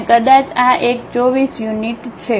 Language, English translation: Gujarati, And, perhaps this one 24 units